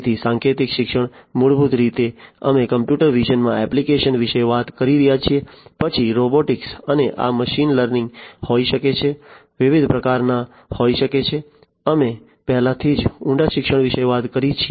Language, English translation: Gujarati, So, symbolic learning, basically, we are talking about applications in computer vision, then, robotics and this can be machine learning, can be of different types; we have already talked about deep learning